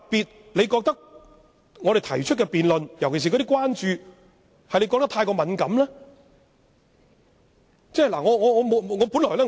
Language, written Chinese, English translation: Cantonese, 他是否認為我們提出的辯論，尤其是我們所關注的事宜太過敏感呢？, Does he consider the debate too sensitive the issues of our concern in particular?